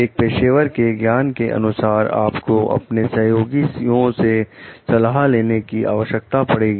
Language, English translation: Hindi, As a professional knowledge, you need to get advice of your colleagues